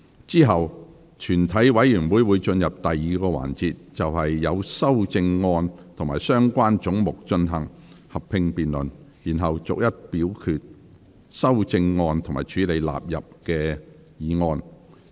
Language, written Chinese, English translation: Cantonese, 之後全體委員會會進入第2個環節，就所有修正案及相關總目進行合併辯論，然後逐一表決修正案及處理納入議案。, The committee will then proceed to the second session in which a joint debate on all the amendments and the relevant heads will be conducted . We will then vote on the amendments one by one and deal with questions of the sums standing part of the Schedule and the Schedule standing part of the Bill